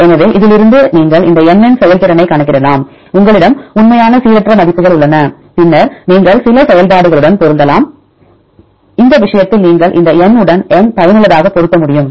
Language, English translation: Tamil, So, from this one you can calculate the effective of this n you have the actual values and you have the random values and then you can fit with the some function right in this case you can fit with this N as N effective